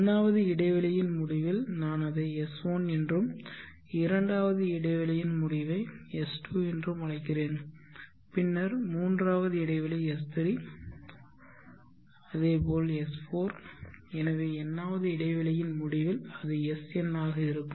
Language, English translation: Tamil, At the end of the 1st interval I will call it as s1 and the end of the 2nd interval is called s2, then the 3rd interval s3, s4 so on at the end of nth interval it will be sn